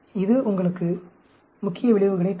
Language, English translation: Tamil, It will give you the main effects